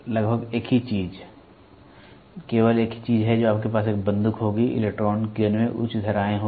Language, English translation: Hindi, Almost the same thing, the only thing is you will have a the gun will the electron beam will have higher currents